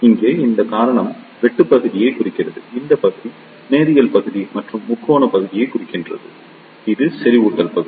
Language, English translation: Tamil, Here, this reason represents the cutoff region, this region represents the linear region or triode region and this is the saturation region